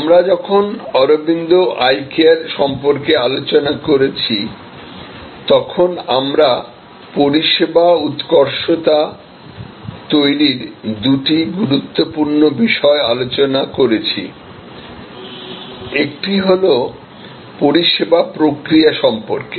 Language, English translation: Bengali, When we discussed about Aravind Eye Care we discussed two important points about creating service excellence, one was about the service process